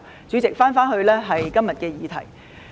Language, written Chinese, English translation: Cantonese, 主席，我返回今天的議題。, President I now come back to the question today